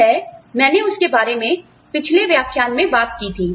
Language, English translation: Hindi, Which is what, I talked about, in the previous lecture